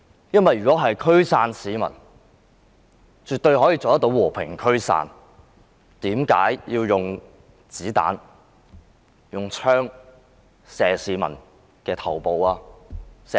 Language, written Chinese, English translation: Cantonese, 因為如果驅散市民，絕對可以用和平方式驅散。為甚麼要用子彈和槍射向市民的頭部和眼部？, While it was definitely possible to adopt peaceful means to disperse the crowd why did the Police shoot people in their heads and eyes?